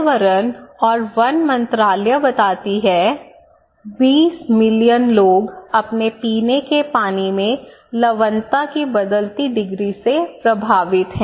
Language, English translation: Hindi, Now, here you can see that a Ministry of Environment and Forests, 20 million people affected by varying degree of salinity in their drinking water okay